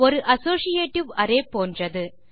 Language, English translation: Tamil, It is very similar to an associative array